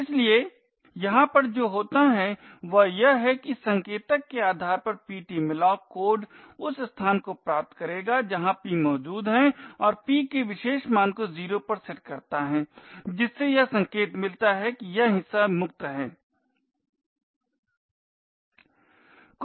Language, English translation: Hindi, So therefore what would happen over here is that based on this pointer the ptmalloc code would obtain the location where p is present and set that particular value of p to 0 indicating that this chunk is free